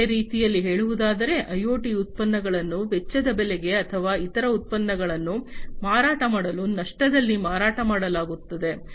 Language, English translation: Kannada, In other words, IoT products are sold at the cost price or at a loss to sell other products